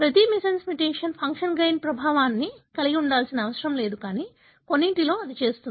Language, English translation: Telugu, It is not necessary that every missense mutation would have a gain of function effect, but in some it does